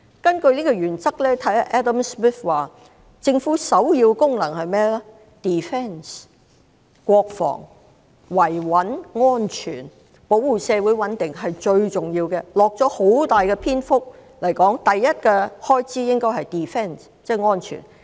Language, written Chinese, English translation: Cantonese, 根據這個原則 ，Adam SMITH 認為政府首要的功能是國防，即是維穩、安全、保護社會穩定，這是最重要的，他用了很大篇幅指出首要的開支應該是安全。, Under this principle Adam SMITH considers that the top function of a government is defense that is maintaining stability and security and safeguarding the community . These are the most important functions . He has dedicated a substantial part of his book to point out that security should be the top expenditure item